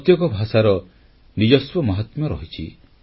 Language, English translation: Odia, Every language has its own significance, sanctity